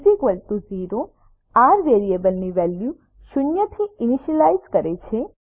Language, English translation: Gujarati, $r=0 initializes the value of variable r to zero